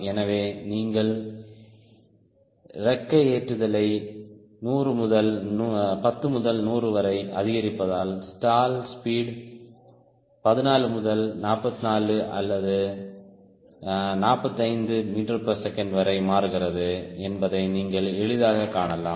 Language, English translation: Tamil, so you could easily see that as i am increasing wing loading from ten to hundred, the stall speed is changing from around fourteen to to forty four or forty five meters per second